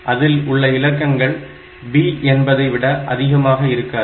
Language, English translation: Tamil, So, it cannot be that it has got a digit whose value is more than b